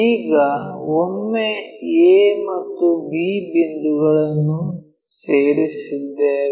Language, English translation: Kannada, Now, once we have that join a b